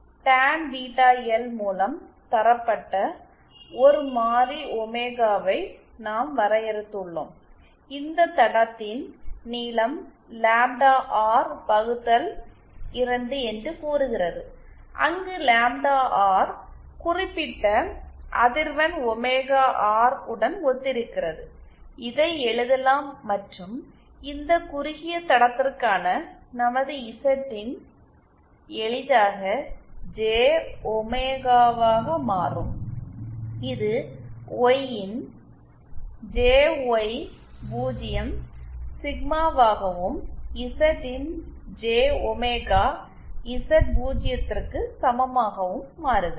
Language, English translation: Tamil, Suppose we defined a variable omega given by tan beta L and the length of this line say lamda r upon 2 where lamda r corresponds to certaion frequency omega r and this can be written as and our Zin for this shorted line simply becomes j omega and this Yin becomes jy0 sigma and Zin I beg your pardon becomes equal to j omega Z0